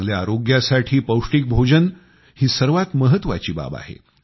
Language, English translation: Marathi, Nutritious food is most essential for good health